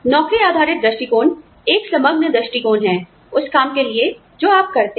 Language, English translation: Hindi, Job based approach is, you know, a holistic approach, to do the kind of job, you do